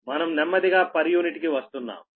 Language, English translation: Telugu, we will come to the per unit, slowly and slowly